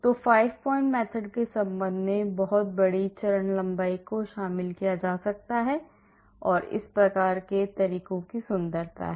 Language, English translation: Hindi, So, very big step lengths can be included, with respect to the 5 point method that is the beauty of these types of methods